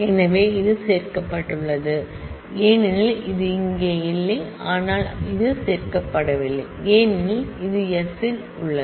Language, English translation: Tamil, So, this is included because, this is not here, but this is not included because it is in s this is included